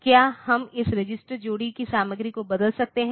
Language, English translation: Hindi, Can we change the content of this register pair